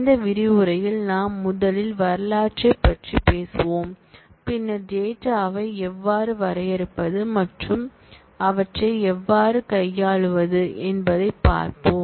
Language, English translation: Tamil, In this module we will first talk about the history and then we will see how to define data and start manipulating them